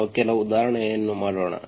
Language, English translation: Kannada, Let us do some example